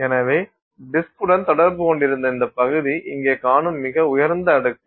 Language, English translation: Tamil, So, this region which is in contact with the disk is the topmost layer that you see here in contact with disk